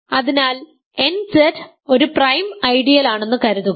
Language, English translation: Malayalam, So, now assume that nZ is a prime ideal